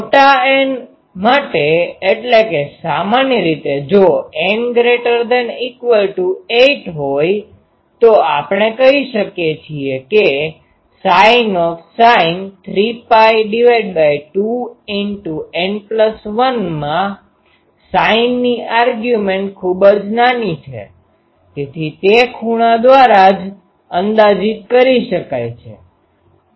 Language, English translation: Gujarati, For large N for how large typically if N is greater than equal to 8, we can say that sin 3 pi 2 N plus 1 that is the argument of sin is very small, so it can be approximated by the angle itself